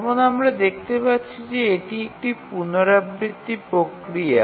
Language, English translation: Bengali, So, as you can see that this is a iterative process